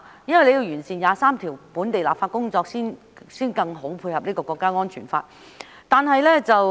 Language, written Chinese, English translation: Cantonese, 因為要完成第二十三條本地立法工作，才能更好地配合《香港國安法》。, The reason is that the Hong Kong National Security Law can be better complemented only after the enactment of local legislation on Article 23